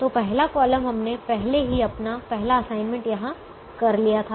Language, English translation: Hindi, so we had already made our first assignment here